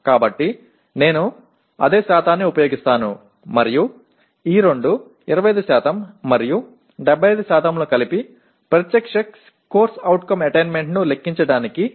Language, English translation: Telugu, So I use the same percentage and I combine these two 25% and 75% to compute the direct CO attainment